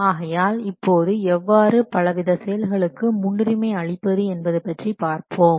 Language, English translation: Tamil, Now let's see how you can prioritize the monitoring activities